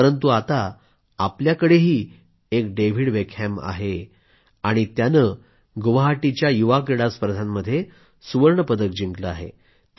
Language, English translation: Marathi, But now we also have a David Beckham amidst us and he has won a gold medal at the Youth Games in Guwahati